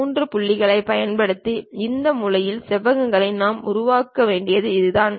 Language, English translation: Tamil, This is the way we have to construct these corner rectangles using 3 points